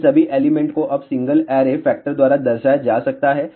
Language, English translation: Hindi, All of these elements now can be represented by single array factor